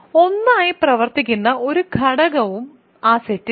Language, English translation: Malayalam, There is no element in the set which functions as 1